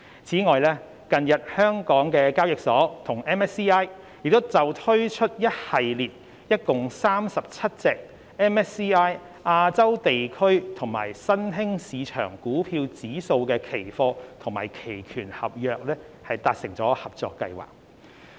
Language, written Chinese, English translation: Cantonese, 此外，近日港交所與 MSCI 就推出一系列共37隻 MSCI 亞洲地區及新興市場股票指數的期貨及期權合約，達成合作計劃。, Moreover HKEx has recently entered into partnership with MSCI Limited to launch a suite of 37 MSCI Asia and Emerging Market equity index futures and options contracts and this will inject diversity to the products offered in the financial market of Hong Kong